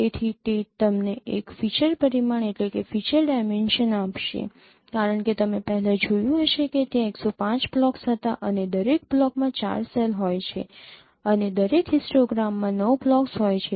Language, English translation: Gujarati, So it would give you a feature dimension as you have seen earlier there were 105 blocks and each block has four cells and each histogram has nine bins